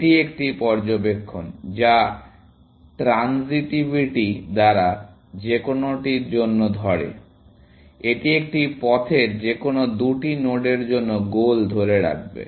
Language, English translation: Bengali, That is one observation, which holds for any, by transitivity, this will hold for any two nodes on a path from